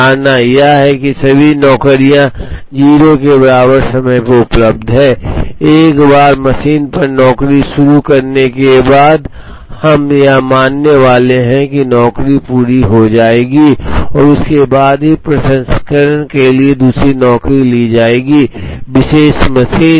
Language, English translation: Hindi, The assumption is that all the jobs are available at time t equal to 0, once a job is started on a machine, we are going to assume that the job will be completed and only then another job will be taken up for processing, on a particular machine